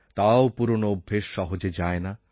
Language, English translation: Bengali, But even then, old habits die hard